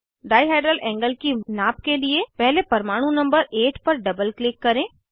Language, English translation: Hindi, For measurement of dihedral angle, first double click on atom number 8